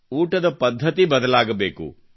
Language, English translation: Kannada, The food habits have to change